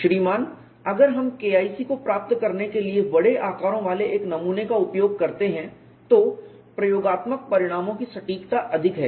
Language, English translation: Hindi, Sir if we uses specimen with large dimension to find K 1c, the accuracy of experimental results is high